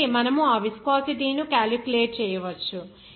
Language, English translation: Telugu, So, you can calculate that viscosity